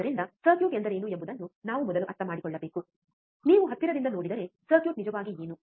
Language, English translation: Kannada, So, first thing we have to understand what is the circuit, if you see closely, right what actually the circuit is